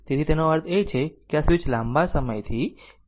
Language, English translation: Gujarati, So that means this switch was closed for long time